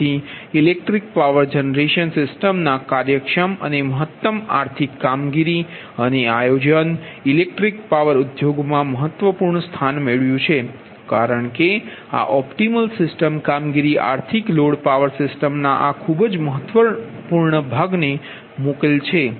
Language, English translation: Gujarati, right so that the efficient and optimum economic operation, right and planning of eclectic power generation system have occupied the important position in the eclectic power industry, because this optimal system operation, an economical, economic load dispatch, is very important